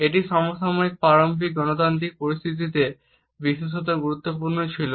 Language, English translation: Bengali, It was particularly important in the contemporary rudimentary democratic situations